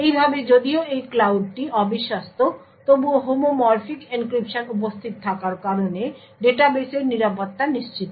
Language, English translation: Bengali, In this way even though this cloud is un trusted the security of the database is ensured because of the homomorphic encryption present